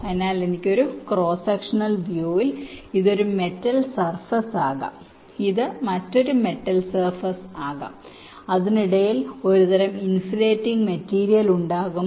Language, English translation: Malayalam, so if i have a cross sectional view, ok, so in a cross sectional view, this can be one metal surface, this can be another metal surface, ok, and there will be some kind of a insulating material in between